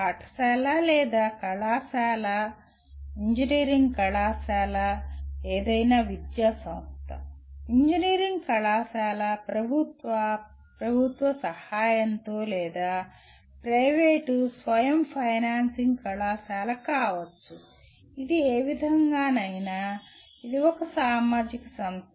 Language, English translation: Telugu, The after all any academic institute whether it is a school or an engineering college; an engineering college may be government, government aided or privately self financing college, whichever way it is, it is a social institution